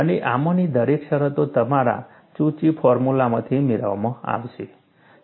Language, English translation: Gujarati, And each one of these terms, would be obtained from your Cauchy's formula